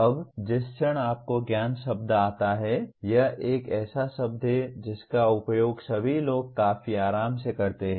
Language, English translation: Hindi, Now, the moment you come to the word knowledge it is a word that is used by everyone quite comfortably